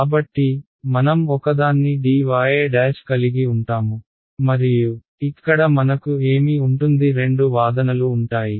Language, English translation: Telugu, So, I will have a d y prime and here what will I have what will be the two arguments